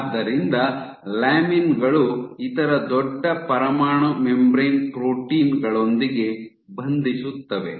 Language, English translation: Kannada, So, lamins they bind to large other nuclear membrane proteins ok